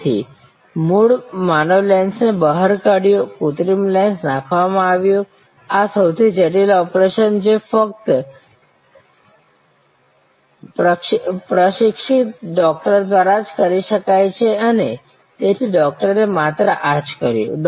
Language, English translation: Gujarati, So, original human lens taken out, the artificial lens inserted, this is the most critical operation could only be performed by a trained doctor and the doctor therefore, did only this